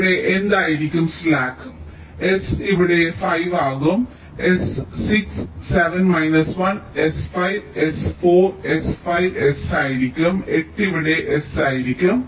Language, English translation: Malayalam, seven minus one s will be five, s will be four, s will be four, s will be four, s will be five, s will be eight and here s will be four